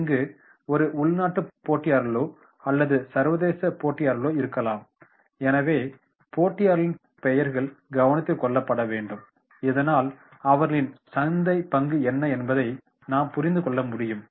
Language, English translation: Tamil, So it may be a domestic level, it may be an international level, so names of the competitors are to be taken into consideration, so that we can understand that is what is their market share